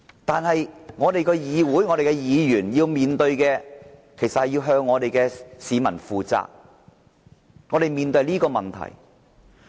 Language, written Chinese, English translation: Cantonese, 但是，我們的議員要向市民負責，我們面對的是這個問題。, But our Members are accountable to the people . We are now facing this problem